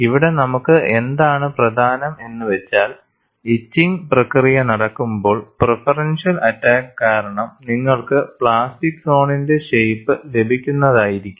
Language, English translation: Malayalam, What is important to us is by the process of etching, because of preferential attack, you are in a position to obtain the shape of the plastic zone that is what you have to look at